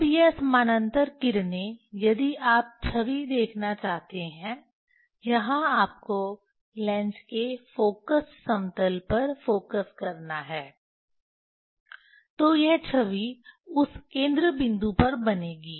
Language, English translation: Hindi, Now, that parallel rays if you want to see the image, Vernier that you have to focus on the focal plane of a lens, then this image will form at that focal point